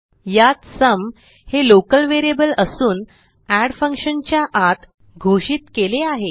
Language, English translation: Marathi, Here sum is a local variable it is declared inside the function add